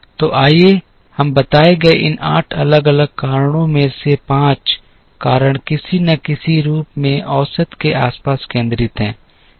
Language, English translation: Hindi, So, let us say out of these 8 different reasons given, 5 of the reasons are centred around the average in some form or the other